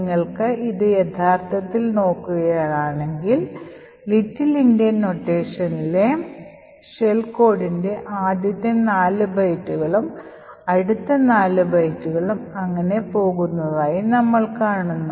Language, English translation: Malayalam, So, if you actually look at this, we see that this are the first four bytes of the shell code in the little Endian notation next four bytes and so on